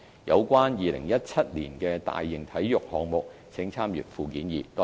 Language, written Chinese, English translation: Cantonese, 有關2017年的大型體育項目請參閱附件二。, Please refer to Annex 2 for the major sports events scheduled in 2017